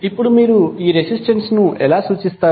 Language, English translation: Telugu, Now, how you will represent this resistance